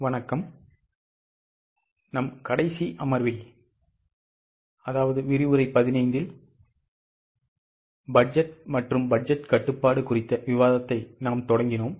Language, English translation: Tamil, In our last session we had started on budgeting and budgetary control